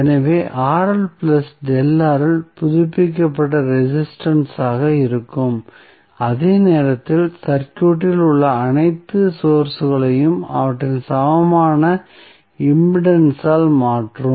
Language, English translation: Tamil, So, Rl plus delta R will be the updated resistance while at the same time replacing all sources in the circuit by their equally impedances